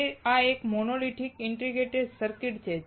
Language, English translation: Gujarati, Why is it monolithic integrated circuit